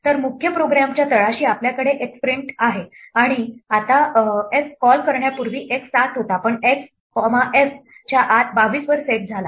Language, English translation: Marathi, So the bottom of the main program we have print x, now x was 7 before f was called but x got set to 22 inside f